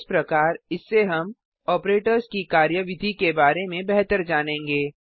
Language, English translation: Hindi, It will thus give us a better idea about the working of the operators